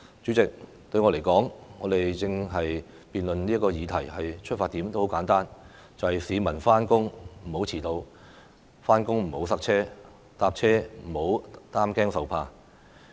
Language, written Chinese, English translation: Cantonese, 主席，對我來說，我們正在辯論的議題的出發點十分簡單，便是讓市民上班不遲到、上班時段不塞車、乘車時不用擔驚受怕。, President in my view the subject of our ongoing debate is based on a very simple vision namely that members of the public should be spared from experiencing delay in arriving at work traffic congestion during commuting hours and anxiety on public transport